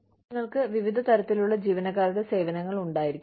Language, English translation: Malayalam, You could have various types of employee services